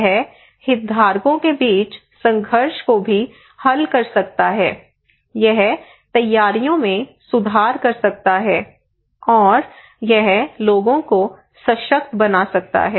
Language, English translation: Hindi, It can also resolve conflict among stakeholders; it can improve preparedness, and it could empower the people